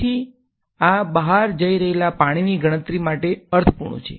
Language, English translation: Gujarati, So, this is this makes sense for counting the water going out